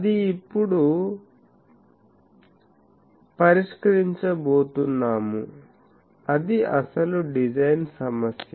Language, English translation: Telugu, So, that will now attempt, that is the actual design problem